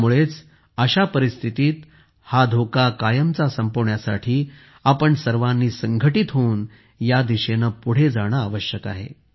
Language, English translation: Marathi, In such a situation, for this danger to end forever, it is necessary that we all move forward in this direction in unison